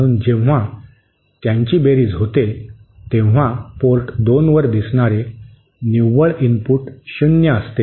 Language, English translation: Marathi, So, when they sum up, the net input appearing at port 2 is 0